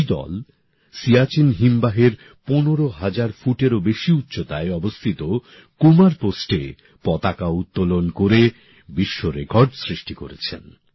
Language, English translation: Bengali, This team created a world record by hoisting its flag on the Kumar Post situated at an altitude of more than 15 thousand feet at the Siachen glacier